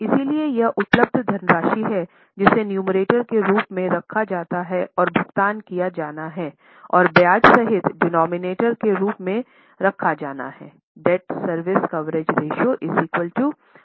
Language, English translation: Hindi, So, this much is a money available is kept as a numerator and the installment to be paid and the interest including the interest is to be kept as a denominator